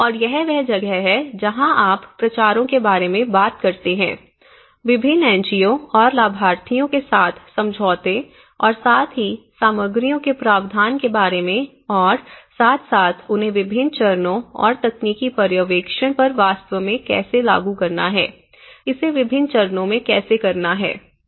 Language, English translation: Hindi, And this is where they talk about the promotions you know, agreements with various NGOs and beneficiaries and as well as the provision of materials as well as how they have to really implement at different stages and technical supervision, how it has to conduct at different stages